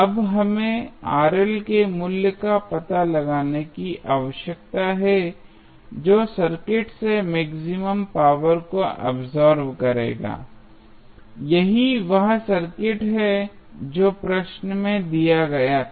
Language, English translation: Hindi, Now, we need to find out the value of Rl which will absorb maximum power from the circuit, that is the circuit which was given in the question